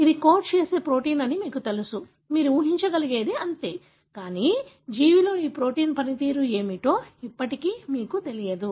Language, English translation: Telugu, So, you may know this is the protein that it codes for; that is all you can predict, but still you do not know what is the function of this protein in the organism